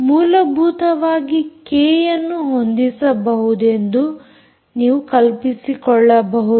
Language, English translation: Kannada, essentially, in a way, you can imagine that k can be adjusted